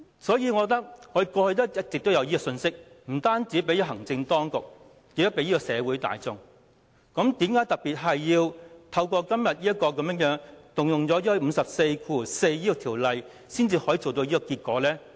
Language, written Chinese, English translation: Cantonese, 我認為，立法會過去一直也有向行政當局及社會大眾發放這樣的信息，為何今天要特別引用第544條才可以達致這樣的效果呢？, I think that on previous occasions the Legislative Council has sent such a message to the executive society and the general public . Why is it necessary to invoke the specific provision of RoP 544 today in order to achieve the same effect?